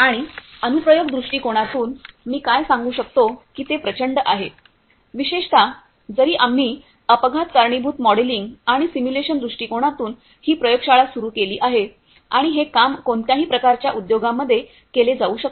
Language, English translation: Marathi, And from application point of view what I can tell you that it is enormous, particularly although we have started this lab from the accident causation modelling and simulation point of view and that this kind of work can be done in any kind of industries